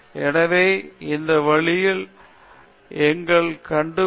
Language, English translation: Tamil, So, this is something we can figure out on the ways